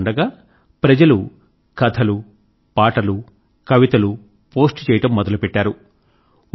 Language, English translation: Telugu, So, people started posting stories, poems and songs